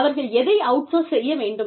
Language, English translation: Tamil, What should, they outsource